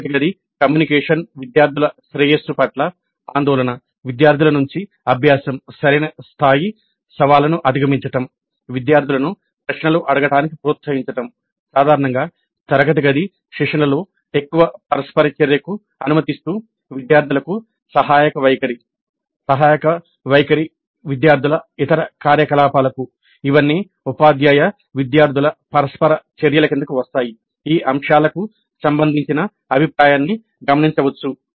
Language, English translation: Telugu, The classroom communication, concern for the well being of the students, good learning by the students, providing right levels of challenges, encouraging the students to ask questions, in general permitting greater interaction during the classroom sessions, supportive attitude to the students, supportive attitude to other activities of the students, all these come under teacher student interaction